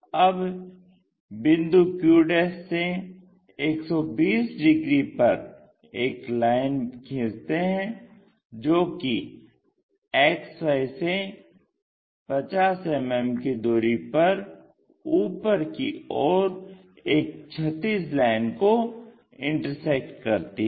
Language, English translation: Hindi, Now, from point q' 120 degrees to XY such that it meets a horizontal line at 50 mm above XY line